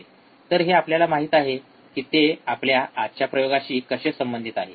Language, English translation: Marathi, So, this we know, how it is related to our today’s experiment